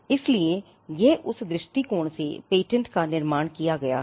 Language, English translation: Hindi, So, it is from that perspective that the patent is constructed